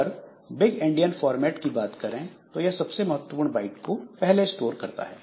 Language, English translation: Hindi, In case of big Indian format it stores the most significant bite first